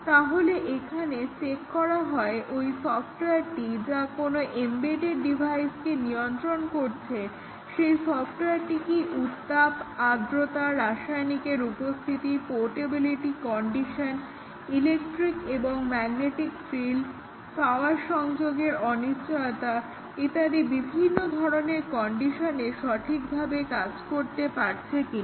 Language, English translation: Bengali, So, here it is checked whether the software which is may be controlling an embedded device, does it work on the different heat, humidity, chemical presence, portability conditions, electric, magnetic fields, disruption of power, etcetera